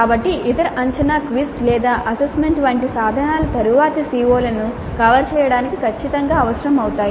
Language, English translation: Telugu, So, the other assessment instruments like a quiz or an assignment would become absolutely essential to cover the later COS